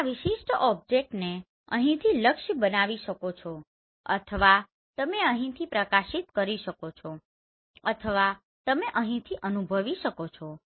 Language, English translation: Gujarati, You can target this particular object either from here or you can illuminate from here or you can sense from here